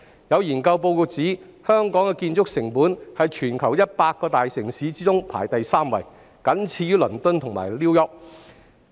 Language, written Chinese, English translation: Cantonese, 有研究報告指，香港的建築成本在全球100個大城市中排行第三，僅次於倫敦和 New York。, According to a study report Hong Kong ranked third for construction costs among the worlds 100 largest cities trailing after London and New York